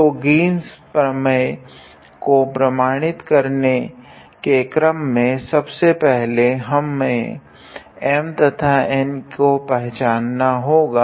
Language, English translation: Hindi, So, first of all we in order to verify the Green’s theorem first of all we have to identify what is our M and what is our N